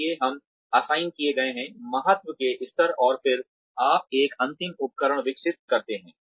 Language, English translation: Hindi, So, we sort of assigned, levels of importance, and then, you develop a final instrument